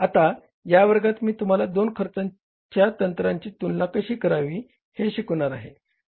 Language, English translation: Marathi, Now, in this class, finally I will take you to a comparison between the two costing techniques